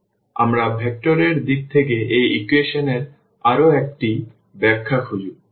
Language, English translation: Bengali, So, we will just look for one more interpretation of the same equation in the in terms of the vectors